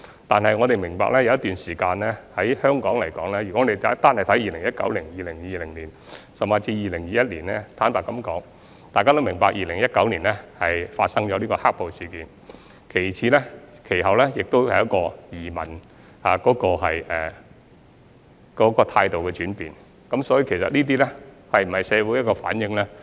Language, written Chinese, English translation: Cantonese, 但是，我們要明白，香港有一段時間，例如2019年、2020年，甚或2021年，坦白說，大家都明白 ，2019 年發生"黑暴"事件，其後也出現對移民態度的轉變，所以這些數字是否反映社會的現況呢？, However we have to understand that there has been a period of time such as in 2019 2020 or even in 2021 frankly we all know about the black - clad violence that plagued Hong Kong in 2019 and then people had a change in attitude towards emigration . So do these figures somehow reflect the current condition of society? . I dare not jump to any conclusion